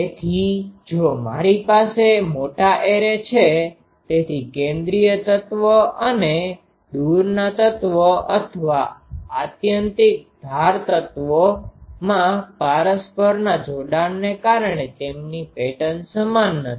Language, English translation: Gujarati, So, if I have an large array, so the central elements and the far away elements or the extreme edges element their pattern is not same because of mutual coupling